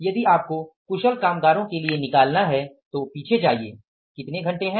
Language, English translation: Hindi, For the the skilled workers if you find out, go back and how many hours are there